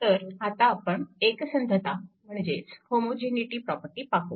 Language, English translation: Marathi, So we will come to that your homogeneity property